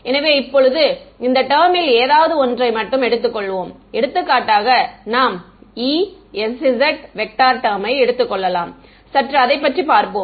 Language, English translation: Tamil, So now, let us just take one of these terms, for example, we can take the E z s z E s z term let just look at that